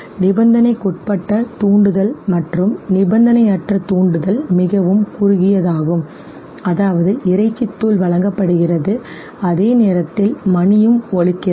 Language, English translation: Tamil, Conditioned stimulus and the unconditioned stimulus is very short, means the meat powder is being presented and simultaneously the bell is also rung